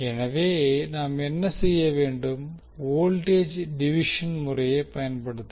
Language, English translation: Tamil, So what we can do, we can utilize the voltage division